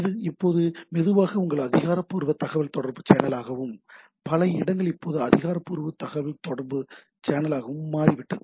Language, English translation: Tamil, So, it is now became slowly becoming your official channel of communication and several places now official channel of communication